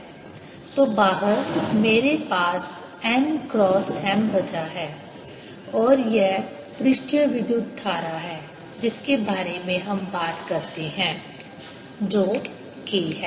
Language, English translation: Hindi, so outside i am going to have n cross m left and that is the surface current that we talk about, which is k